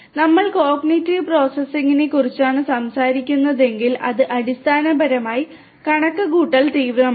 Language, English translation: Malayalam, And if we are talking about cognitive processing that basically is computationally intensive